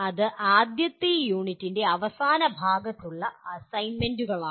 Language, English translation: Malayalam, So those are the assignments at the end of the first unit